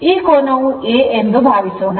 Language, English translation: Kannada, Suppose this angle is A